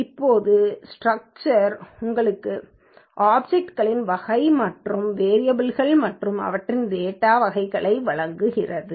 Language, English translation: Tamil, Now, structure gives you type of the object and variables that are there in the object and their data types